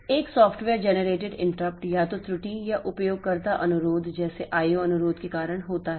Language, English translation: Hindi, A software generated interrupt is caused either by an error or a user request like I